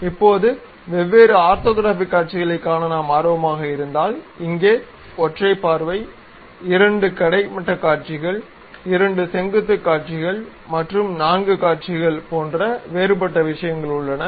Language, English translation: Tamil, Now, if we are interested about see different orthographic orthographic views, here we have different things something like single view, two view horizontal, two view vertical, and four view